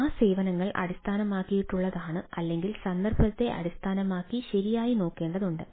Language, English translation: Malayalam, so that services is based on that ah or based on the context need to be looked at right ah